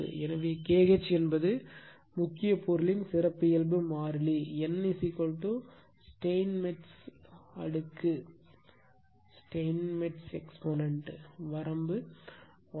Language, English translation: Tamil, So, K h is characteristic constant of your core material, n is equal to Steinmetz exponent, range 1